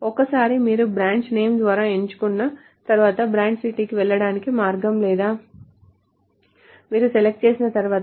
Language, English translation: Telugu, Once you are selected by branch name, there is no way to get to the branch city or once you have selected, so it doesn't make any sense